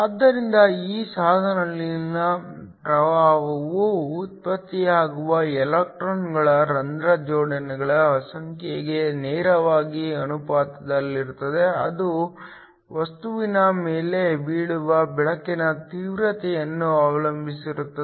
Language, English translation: Kannada, So, The current in this device is directly proportional to the number of electrons hole pairs that are generated, which in turn depends upon the intensity of the light that falls on the material